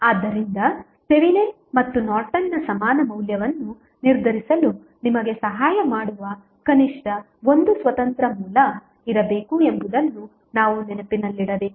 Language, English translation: Kannada, So, this we have to keep in mind that there should be at least one independent source which helps you to determine the value of Thevenin and Norton's equivalent